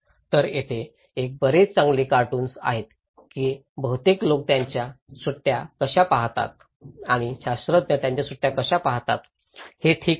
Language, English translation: Marathi, So, here is a very good cartoon, that how most people view their vacations and how scientists view their vacations, okay